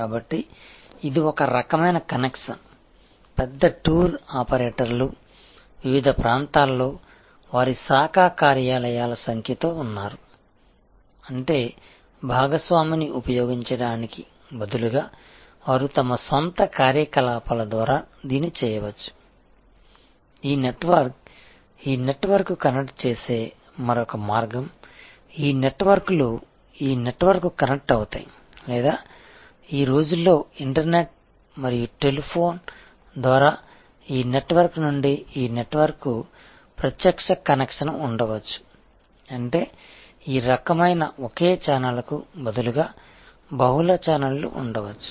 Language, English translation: Telugu, So, that is one kind of connection, there are big tour operators with their number of branch offices at various places; that means instead of using a partner, they may do it through their own offices; that is another way this network connects to this network, this networks connects to this network or these days through internet and telephone, there can be a direct connection from this network to this network; that means, instead of this kind of a single channel there can be… So, this is a network, I am deliberately putting some non linear parts here and this is another network